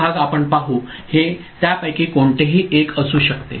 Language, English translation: Marathi, That part we shall see it can be any one of them ok